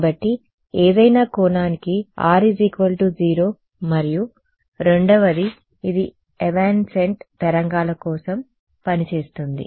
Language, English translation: Telugu, So, R is equal to 0 for any angle and the second one is: it works for evanescent waves